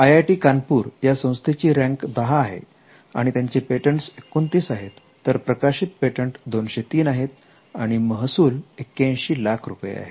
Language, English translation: Marathi, IIT Kanpur, which is ranked 10, has 29th granted patents, 203 published patents and their revenues in 81 lakhs